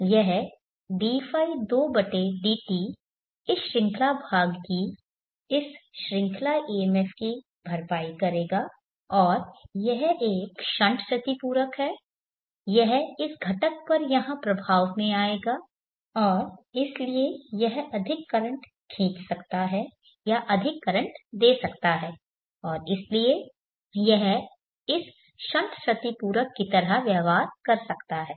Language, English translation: Hindi, 2/dt series part this series EMF and this is a stunt compensator this will come into effect on this component here and therefore it can draw more current or give out more current